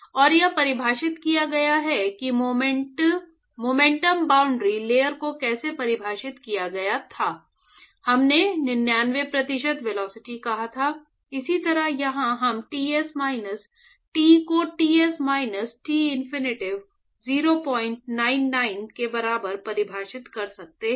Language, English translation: Hindi, And, this is defined as is very similar to how the momentum boundary layer was defined, we said 99 percent velocity, similarly here we can define Ts minus T by Ts minus Tinfinity should be equal to 0